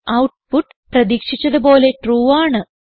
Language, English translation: Malayalam, the output is True as expected